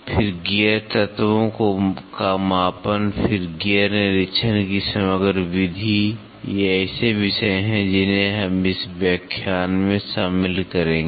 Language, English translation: Hindi, Then measurements of gear elements, then composite method of gear inspection, these are the topics which we will cover in this lecture